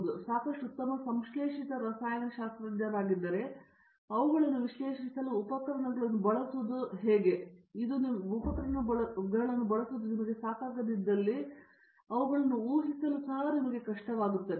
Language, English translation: Kannada, It is not enough if you are very good synthetic chemists, if it is not enough you can to make use of the tools to analyze them, but you should also be able to predict them